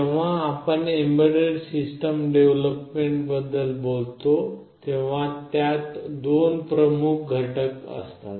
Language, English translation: Marathi, When we talk about this embedded system development, this involves two major components